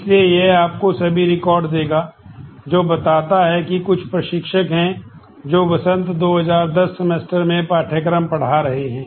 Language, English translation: Hindi, So, this will give you all records, which show that some instructor is teaching the course in spring 2010 semester